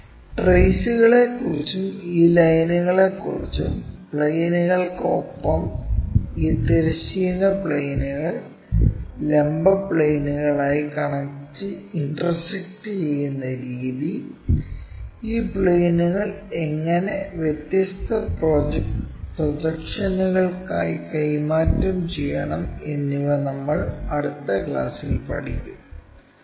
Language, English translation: Malayalam, More about traces and these lines, we will learn in the later classes along with our planes if they are going to intersectintersecting with these horizontal planes, vertical planes, how these planes we have to really transfer it for different projections